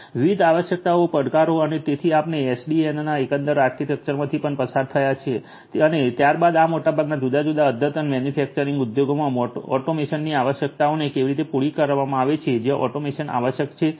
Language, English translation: Gujarati, We have also gone through the overall architecture of SDN and thereafter how it applies to catering to the requirements of automation in most of these different advanced manufacturing industries where automation is required and so on